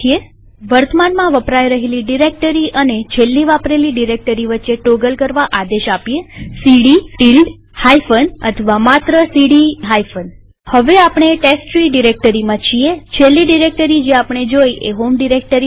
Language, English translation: Gujarati, One may also toggle between the current working directory and the last directory used by giving the command cd ~ minus or only cd minus Like now that we are in the testtree directory, the last directory we visited was the home directory